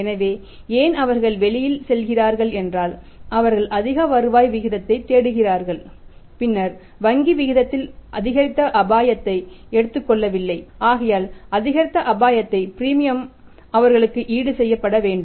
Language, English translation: Tamil, So, in that case why they're going out they are looking for the higher rate of return then the bank rate is not taking the increased risk they should be compensated for that by the premium for the increased risk